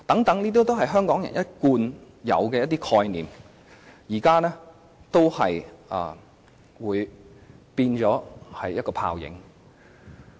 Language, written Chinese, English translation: Cantonese, 這些香港人一貫抱有的權利概念，到時均會變成泡影。, These long - held concepts we have about our rights will vanish in a puff of smoke by then